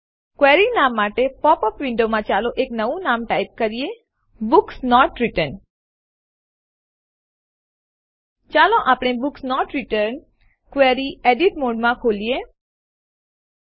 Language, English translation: Gujarati, In the popup window for query name, let us type in a new name: Books Not Returned Let us now open the Books Not Returned query in edit mode